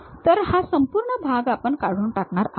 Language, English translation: Marathi, So, this entire portion we will be removing